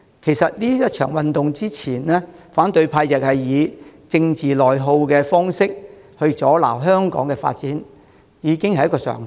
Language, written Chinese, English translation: Cantonese, 其實這場運動之前，反對派用政治內耗的方式來阻撓香港的發展，已經是一個常態。, In fact prior to this movement the opposition has been impeding Hong Kongs development by way of internal political attrition and this has already become the order of the day